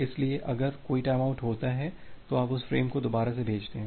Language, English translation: Hindi, So, if there are if a timeout occurs then you retransmit that frame again